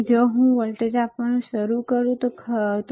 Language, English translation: Gujarati, So, if I start giving a voltage, right